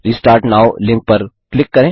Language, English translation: Hindi, Click on the Restart now link